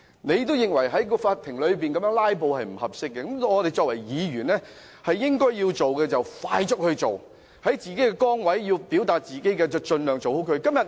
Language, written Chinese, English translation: Cantonese, 既然他認為在法庭內"拉布"是不恰當的，我們作為議員，應該要做的便要快速去做，在自己的崗位上盡量做好自己。, If he actually considers it inappropriate to filibuster in court Honourable Members should all the more fulfil their duties by doing what they should do expeditiously